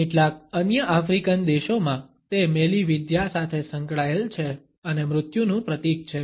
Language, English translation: Gujarati, In certain other African countries, it is associated with witchcraft and symbolizes death